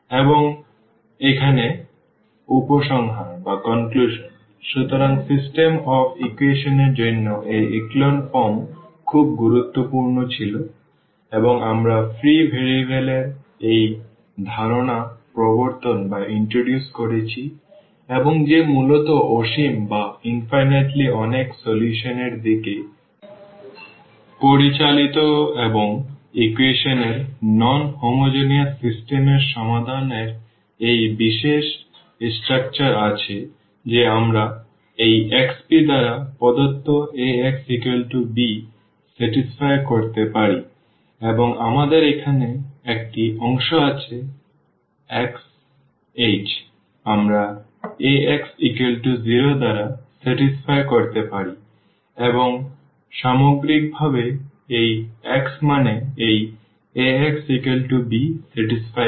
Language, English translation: Bengali, And, the conclusion here; so for the system of equations this echelon form was very important and we have introduced this concept of the free variable and that lead to basically infinitely many solutions and the solution of non homogeneous system of equation has this special structure that we get this x p which satisfy the given Ax is equal to b and we have a part here x h we satisfy Ax is equal to 0 and as a whole also this x means this satisfy Ax is equal to b